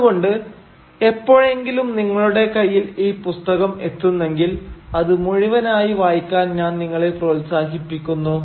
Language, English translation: Malayalam, So if you manage to get your hands on this book, I would definitely encourage you to read this book in its entirety